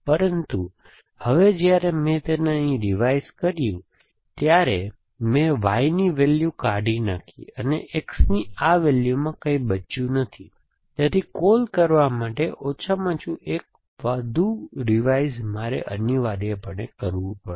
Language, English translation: Gujarati, But, now when I did revise wise it, I deleted the value of Y and this value of X does not have anything left, so at least one more to call to